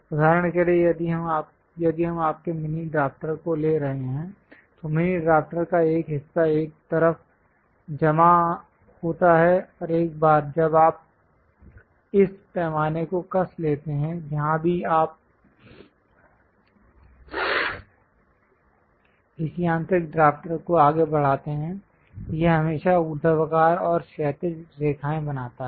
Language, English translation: Hindi, For example, if we are taking your mini drafter, one part of the mini drafter is fixed on one side and once you tighten this scale; wherever you move this mechanical drafter, it always construct vertical and horizontal lines